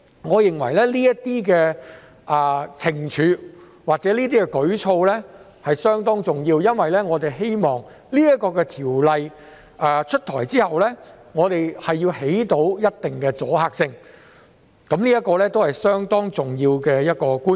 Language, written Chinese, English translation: Cantonese, 我認為這些懲處或舉措相當重要，因為我們希望條例出台後能產生一定的阻嚇性，這是相當重要的觀點。, I consider such penalties or actions important as the Bill upon enactment is supposed to give deterrent effect . This point is crucial